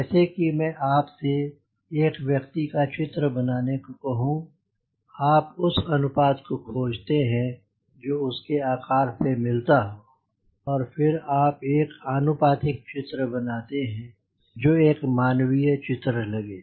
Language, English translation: Hindi, like if i ask you draw a figure of a human sketch, you always try to find out what is the proportion of this size to the total size and accordingly you make a proportion, a diagram, so that you should look like a human figure